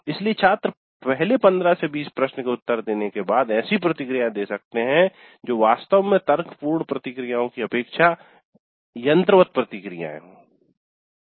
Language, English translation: Hindi, So after answering maybe the first 15, 20 questions students might give responses which are more automatic rather than really reasoned out responses